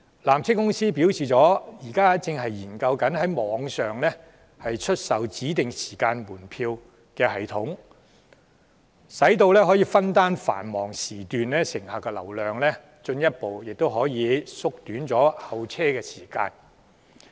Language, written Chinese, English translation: Cantonese, 纜車公司表示，現時正研製一個在網上出售指定時間門票的系統，以攤分繁忙時段的乘客及進一步縮短候車時間。, PTC has indicated that it is developing a timed ticket online sales programme which aims to make the visitor demand more evenly distributed throughout the day to further reduce the waiting time